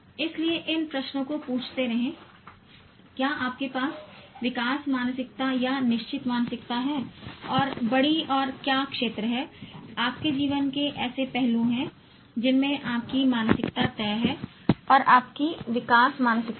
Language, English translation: Hindi, So keep thinking, keep asking these questions whether you have growth mindset or fixed mindset by and large and what are the areas aspects of your life in which you have fixed mindset and you have growth mindset